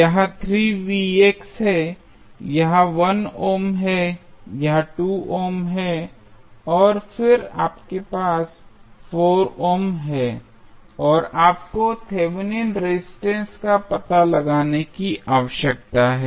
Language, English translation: Hindi, So, this is 3 Vx this is 1 ohm this is 2 ohm and then you have 4 ohm and you need to find out the Thevenin resistance